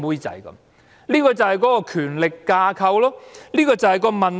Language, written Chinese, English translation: Cantonese, 這正正是權力架構的問題。, This is exactly the problem with the power structure